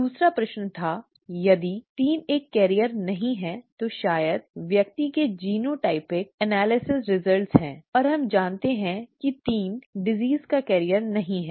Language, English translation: Hindi, The second question was; if 3 is not a carrier as, that is given probably the person has genotypic analysis analysis results and we know, we know that the 3 is not a carrier of the disease